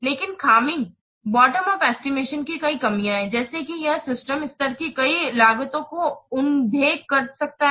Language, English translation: Hindi, But the drawback, there are several drawbacks of bottom up test estimation such as it may overlook many of the system level costs